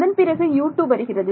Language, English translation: Tamil, Then the next is U 2